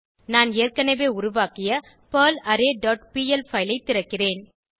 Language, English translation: Tamil, I will open perlArray dot pl file which I have already created